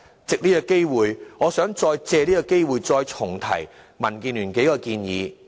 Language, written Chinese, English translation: Cantonese, 藉此機會，我想重提民建聯的數項建議。, I would like to take this opportunity to revisit the several recommendations made by DAB